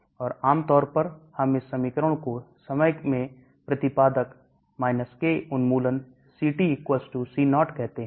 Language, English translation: Hindi, And generally this equation we call it Ct = C0 exponent K elimination into time